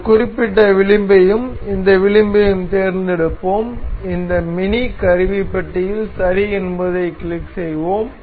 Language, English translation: Tamil, We will select this particular edge and this edge and we will click ok in this mini toolbar